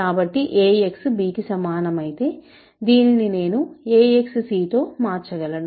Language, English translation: Telugu, So, if ax equal to b, I can replace this as ax c, b is equal to ax